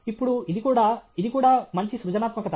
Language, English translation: Telugu, Now, this is also, this is also super creativity